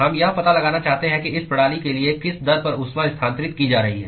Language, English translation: Hindi, We want to find out what is the rate at which heat is being transferred for this system